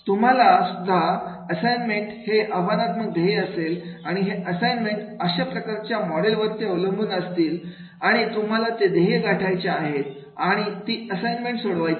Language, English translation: Marathi, You will also have the challenging goals of the assignments and those assignments will be based on this type of the module and then you have to achieve those goals and solve those assignments